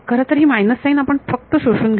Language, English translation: Marathi, Actually, let us just absorb the minus sign